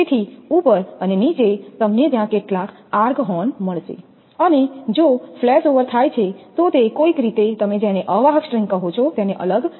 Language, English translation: Gujarati, So, on the top and the bottom, you will find some arc horn in there; if flashover take place it will be through that to only and somehow it will bypass what you call that insulator string